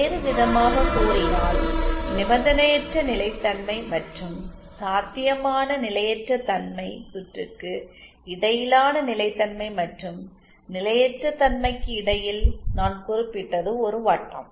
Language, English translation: Tamil, In other words that I was mentioning between stability and instability between unconditional stability and potentially instable circuit is a circle